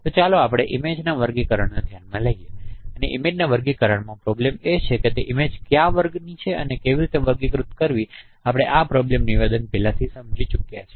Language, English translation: Gujarati, And in the image classification, the problem is that what class that image belongs to and how to classify we have already understood this problem statement